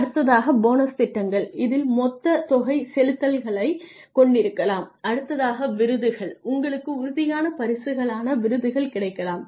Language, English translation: Tamil, You could have bonus programs, lump sum payments that is one time you could have awards which are tangible prizes